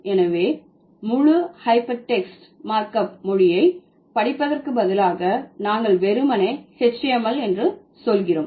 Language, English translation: Tamil, So, instead of reading the entire hypertext markup language, we are simply saying HTML